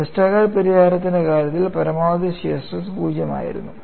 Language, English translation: Malayalam, In the case of a Westergaard solution, the maximum shear stress was 0